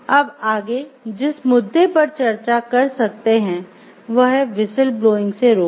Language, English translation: Hindi, So, next what we can discuss is the preventing of whistle blowing